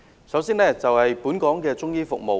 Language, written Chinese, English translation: Cantonese, 首先，是關於本港的中醫服務的發展。, First of all it is about the development of Chinese medicine services in Hong Kong